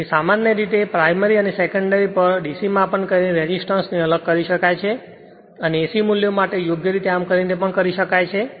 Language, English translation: Gujarati, So, generally resistance could be separated out by making DC measurement on the primary and secondary and duly you are correcting these for AC values